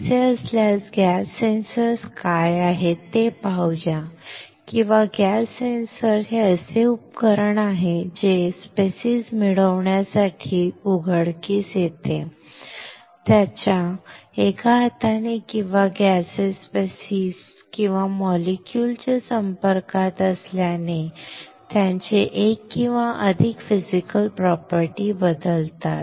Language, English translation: Marathi, If that is the case let us see what are the gas sensors or gas sensors is a device which exposed to get species, which on exposed one arm or which one exposure to gaseous species or molecules alters one or more of its physical properties